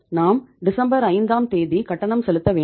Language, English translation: Tamil, We have to make the payment on 5th of December